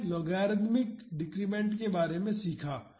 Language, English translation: Hindi, We learned about logarithmic decrement